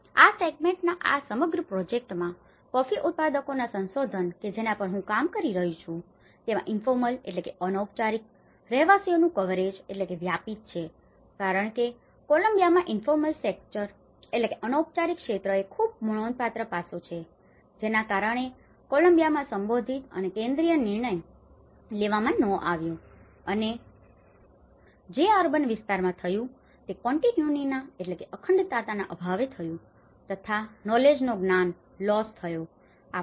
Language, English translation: Gujarati, In this segment, in this whole project, because it’s a coffee growers associations which I working on, the coverage of informal dwellers because informal sector is very significant aspect in Colombia which has not been addressed and concentrated decision making in urban areas and lack of continuity and loss of knowledge what happens